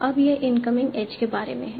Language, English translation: Hindi, Now it's about the incoming age